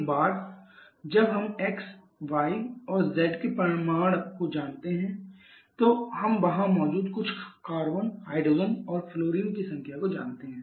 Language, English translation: Hindi, We know the number of; once we know the magnitude of xy and z we know the magnitudes or sorry you know the number of some carbon, hydrogen, fluorine present there